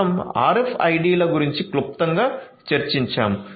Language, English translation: Telugu, We have also discussed briefly about the RFIDs